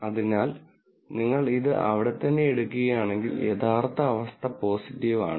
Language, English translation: Malayalam, So, if you take this right here, the true condition is positive